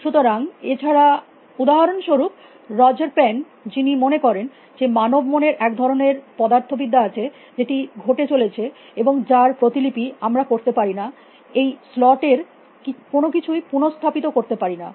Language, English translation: Bengali, So, unlike for example, roger pen was who feels set the human mind, a human brain has some kind of physics, which is going on which we cannot replicate reset nothing of the slot